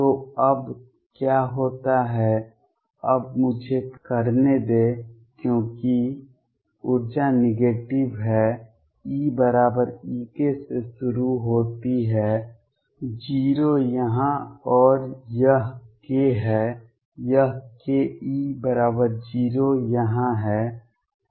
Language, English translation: Hindi, So, what happens now is let me now because the energy is negative start from E equals e k 0 here and this is k this is k E equals 0 here